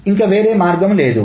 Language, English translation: Telugu, There is no other way